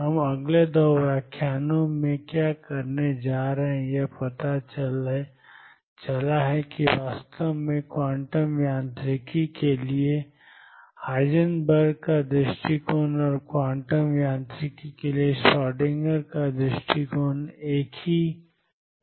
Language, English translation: Hindi, What we are going to do in the next 2 lectures is learned that actually Heisenberg’s approach to quantum mechanics and Schrodinger’s approach to quantum mechanics are one and the same thing